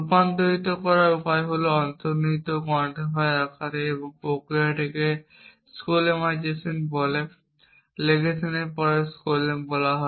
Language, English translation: Bengali, The way to convert is into implicit quantifier form and the process is called skolemization after legation called skolem